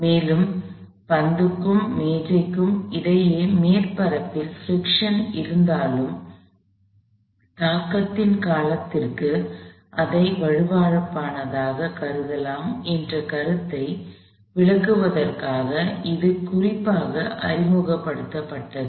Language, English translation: Tamil, And, this is specifically introduced to illustrate the idea that, even though the surface may have some friction between the ball and the table, you can treat it as being smooth for the duration of the impact